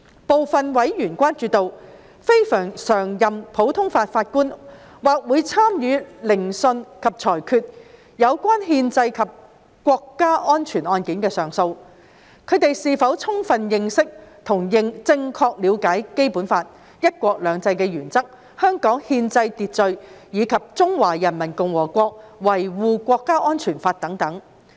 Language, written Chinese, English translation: Cantonese, 部分委員關注到，非常任普通法法官或會參與聆訊及裁決有關憲制或國家安全案件的上訴，他們是否充分認識和正確了解《基本法》、"一國兩制"原則、香港憲制秩序及《中華人民共和國香港特別行政區維護國家安全法》等。, Some members are concerned that since CLNPJs of CFA might be involved in hearing and determining appeals relating to constitutional or national security cases whether they have adequate knowledge and proper understanding of the Basic Law the one country two systems principle the constitutional order of Hong Kong and the Law of the Peoples Republic of China on Safeguarding National Security in the Hong Kong Special Administrative Region and so on